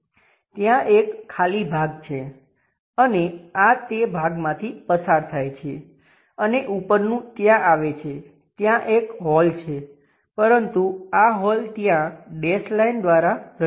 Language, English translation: Gujarati, There is a empty portion and this one goes via that portion and top one comes there; there is a hole there, but this hole represented by dashed line there